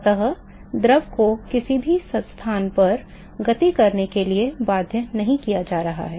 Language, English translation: Hindi, So, the fluid is not being force to move at any location